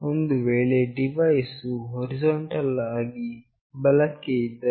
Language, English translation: Kannada, Suppose the device was horizontally right